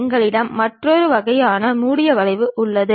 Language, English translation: Tamil, We have another kind of closed curve also